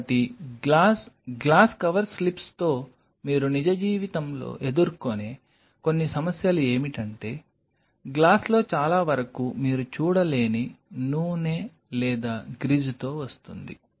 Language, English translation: Telugu, So, few problems what you will face in real life will working with glass, glass cover slips are that most of the glass comes with significant amount of oil or grease which you cannot see